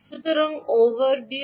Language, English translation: Bengali, so what is the overview